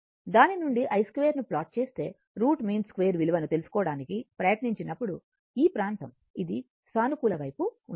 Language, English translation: Telugu, If you plot the i square from it is this your what you call that when you try to find out the root mean square value, this area this is positive side